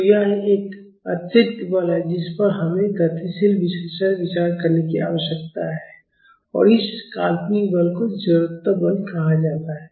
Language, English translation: Hindi, So, this is an additional force which we need to consider in dynamic analysis and this fictitious force is called inertia force